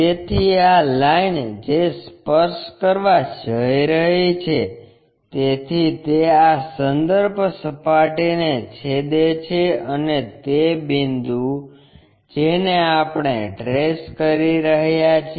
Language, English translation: Gujarati, So, this is the line which is going to touch that so it is going to intersect this reference plane and that point what we are calling trace